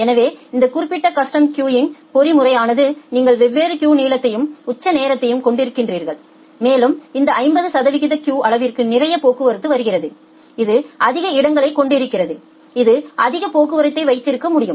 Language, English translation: Tamil, So, that way this particular custom queuing mechanism where you have different queue length and in the peak hour so, and there are lots of traffics which are coming for these 50 percent queue size it has more amount of spaces it can hold more traffic